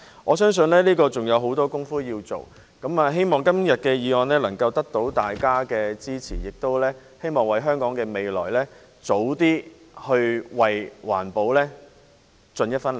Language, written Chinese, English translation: Cantonese, 我相信這方面還有許多工夫要做。希望今天的議案獲得大家支持，亦希望能預早為香港的未來和環保盡一分力。, Believing there are still a lot to be done in this regard I hope that todays motion enjoys the support of all Members and that we can play an early part for the future and environmental protection of Hong Kong